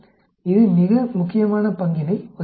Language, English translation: Tamil, It plays a very important role